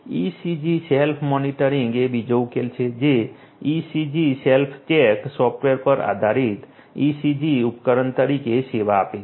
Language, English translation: Gujarati, ECG Self Monitoring is another solution which serves as ECG device, based on the “ECG Self Check” software